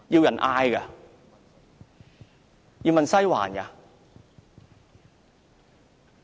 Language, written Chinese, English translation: Cantonese, 要問"西環"嗎？, Do they have to ask the Western District?